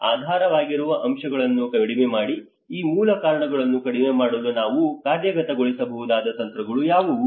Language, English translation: Kannada, Reduce the underlying factors; what are the strategies that we can implement to reduce these underlying root causes